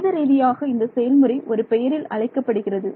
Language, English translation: Tamil, So, what is that mathematically procedure called